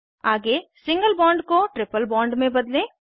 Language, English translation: Hindi, Next lets convert the single bond to a triple bond